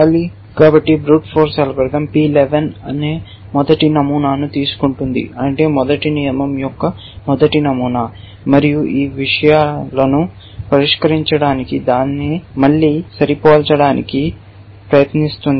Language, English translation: Telugu, So, the brute force algorithm would take the first pattern which is P 1 1 which means the first pattern of the first rule and try matching it again solve these things